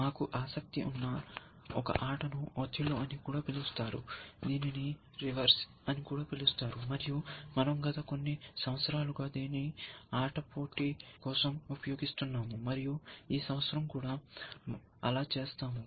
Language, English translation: Telugu, One game that, is of interest to us, is a game call othello, also called as reversi, and we have been using that for the last few years, for the game competition and will do so this year also